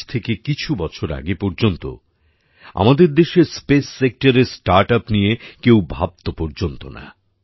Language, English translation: Bengali, Till a few years ago, in our country, in the space sector, no one even thought about startups